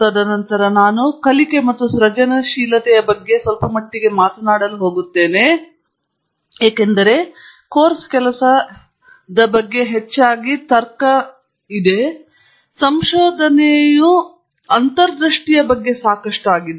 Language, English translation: Kannada, And then I am going to talk about a little bit about learning and creativity, because while course work is mostly about logic; research is a lot about intuition